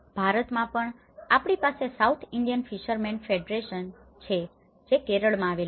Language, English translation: Gujarati, Even in India, we have the South Indian Fishermen Federation which is in Kerala